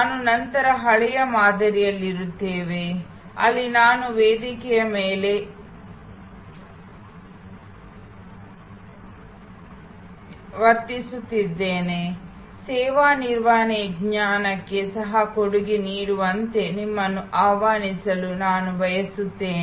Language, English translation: Kannada, We will then be in the old paradigm, where I am behaving like a sage on a stage, I would like to invite you to be a co contributor to the knowledge of service management